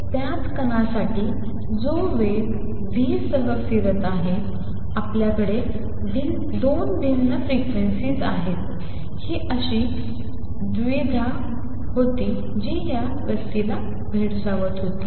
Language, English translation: Marathi, So, for the same particle which is moving with speed v, we have 2 different frequencies, how do I reconcile the true, that was the dilemma that this person was facing